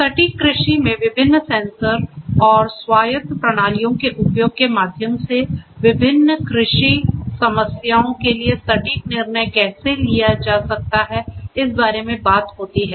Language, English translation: Hindi, Precision agriculture talks about that through the use of different sensors and autonomous systems how the precise decision making can be done for different agricultural problems